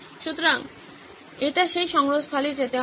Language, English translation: Bengali, So it will keep going into that repository